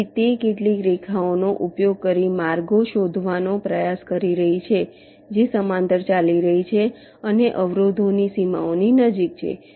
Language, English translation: Gujarati, ok, so it is trying to trace the paths using some lines which are running parallel and close to the boundaries of the obstacles